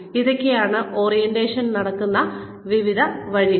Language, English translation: Malayalam, So, various ways in which orientation takes place